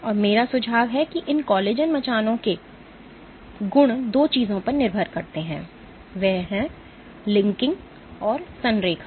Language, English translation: Hindi, And what I suggest is the properties of these collagen scaffolds depends on two things cross: linking and alignment